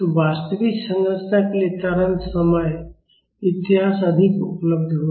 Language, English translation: Hindi, So, for a real structure the acceleration time history will be more available